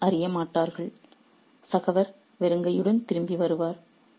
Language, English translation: Tamil, Nobody will know and the fellow will return empty handed